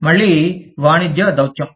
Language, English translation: Telugu, Again, commercial diplomacy